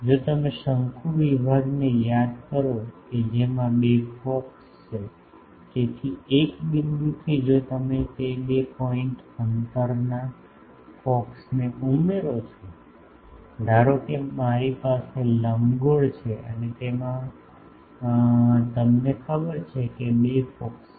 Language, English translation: Gujarati, If you remember the conic sections which has two focuses so, from a point on the section if you add those two points distance focus; suppose I have a ellipse and it has you know two focus